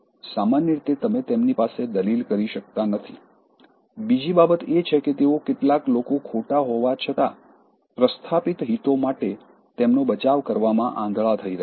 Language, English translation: Gujarati, Generally, you cannot reason them out, the other thing is they are being blind in defending some people even if they are wrong, because of vested interests